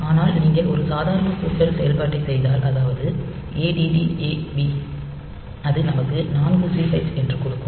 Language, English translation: Tamil, But if you do a normal addition operation then you will get add A B where it will give us 4 C hex